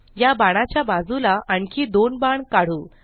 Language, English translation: Marathi, Let us draw two more arrows next to this arrow